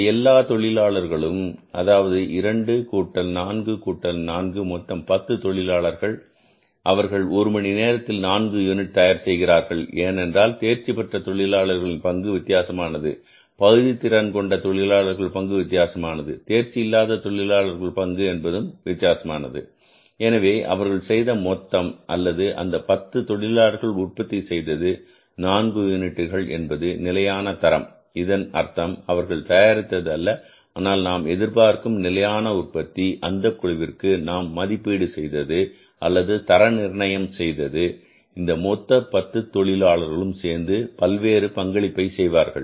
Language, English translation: Tamil, 2 plus 4 plus 4, 10 workers they have produced in total 4 units in 1 hour because role of the skilled workers is different role of the semi skilled worker is different role of the unskilled workers is different right so they have in total all these 10 workers have produced four units that was the standard means not have produced but they are expected to produce standard output of the gang was that was the estimated to be, standardized to be that these 10 workers working together performing their different roles for manufacturing one unit of production in one hour they are expected, they are standardized to produce four units together